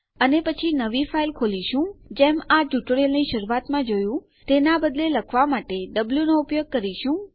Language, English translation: Gujarati, And then were opening a new file as we saw in the start of this tutorial but instead were using w for write